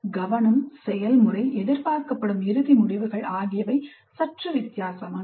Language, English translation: Tamil, The focus, the process, the end results expected are somewhat different